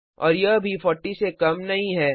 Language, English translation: Hindi, And it also not less than 40